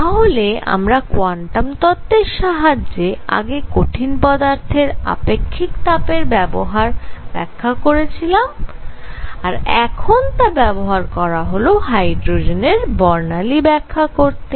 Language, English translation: Bengali, So, we develop quantum theory applied it to explain specific heat of solids and now applied it to explain the hydrogen spectrum theory must be right alright